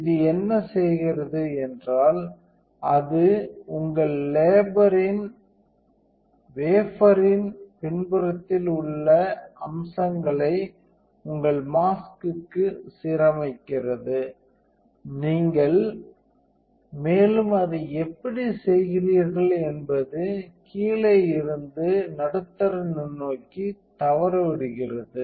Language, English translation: Tamil, So, what this does is it aligns features on the back of your wafer to your mask, and how you do it miss the middle microscope from the bottom